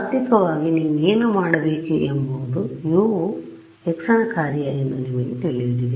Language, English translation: Kannada, Ideally what you should do you know that U is a function of x